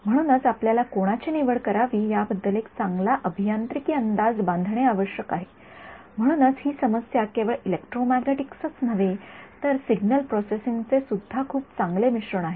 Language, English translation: Marathi, So, you have to make a very good engineering guess about which one to choose, which is why this problem becomes the very good mix of not just electromagnetics, but also signal processing ok